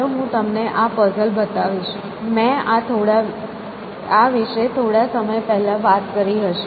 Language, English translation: Gujarati, So, let me show you this puzzle, which I might have spoken about some time ago